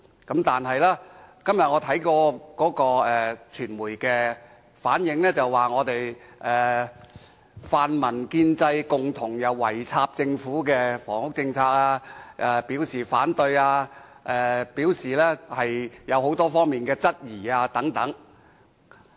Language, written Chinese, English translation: Cantonese, 但是，我今天看到的傳媒報道，指泛民、建制圍攻政府的房屋政策，對政策表示反對及提出多方面質疑等。, However the media reports I saw today said that Members from both the pan - democratic camp and the pro - establishment camp attacked the housing policy proposed by the Government raising objections and queries on them